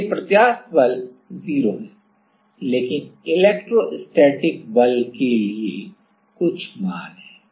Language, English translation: Hindi, So, the elastic force is 0, but there is certain value for electrostatic force